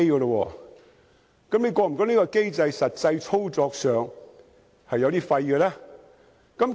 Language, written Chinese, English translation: Cantonese, 那麼，局長是否覺得，這個機制實際操作上，是形同虛設？, In this case does the Secretary think that this mechanism is actually of no real use?